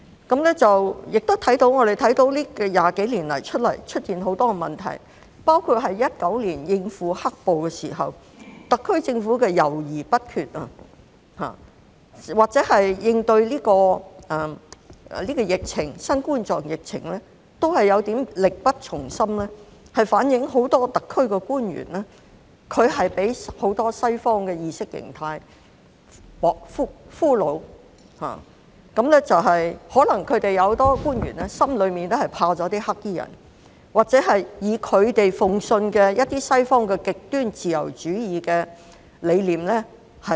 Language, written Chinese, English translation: Cantonese, 我們亦看到這20多年來出現很多問題，包括2019年應付"黑暴"時，特區政府的猶豫不決，或是應對新冠狀病毒疫情都是有點力不從心，反映很多特區官員都被不少西方意識形態所俘虜，很多官員可能在心裏也害怕"黑衣人"，或擁抱他們信奉的一些西方極端自由主義理念。, We have also observed the emergence of many problems during these two decades including the SAR Governments indecisiveness when dealing with the riots in 2019 and its lack of competence in coping with the COVID - 19 epidemic . This has reflected that many SAR officials are slaves to Western ideology . Many officials may even be scared of the black - clad people or are deep - down believers of Western ideas like extreme liberalism